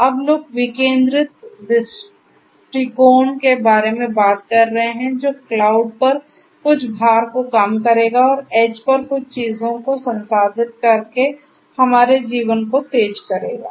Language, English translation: Hindi, Now people are talking about decentralized approach that will decrease some of the load on the cloud and will also makes our lives faster by processing certain things at the edge